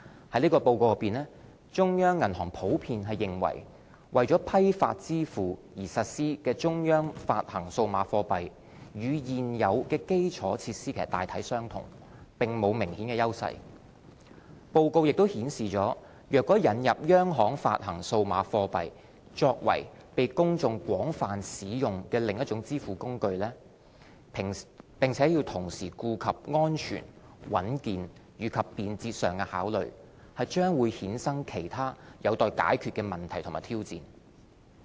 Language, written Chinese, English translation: Cantonese, 在這報告內，中央銀行普遍認為，為批發支付而實施的央行發行數碼貨幣與現有基礎設施大體相同，並無明顯優勢。報告亦顯示若引入央行發行數碼貨幣作為被公眾廣泛使用的另一種支付工具，並同時顧及安全、穩健和便捷上的考慮，將會衍生其他有待解決的問題和挑戰。, The overall finding is that while currently proposed implementations of CBDC for wholesale payments look broadly similar to and not clearly superior to existing infrastructures; CBDC that could be made widely available to the general public and serve as an alternative safe robust and convenient payment instrument raises important questions and challenges that would need to be addressed